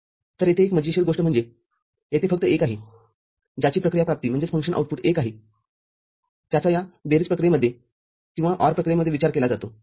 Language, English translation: Marathi, So, interesting thing is here that only the one that are having function output 1, which is considered in this summation process or ORing process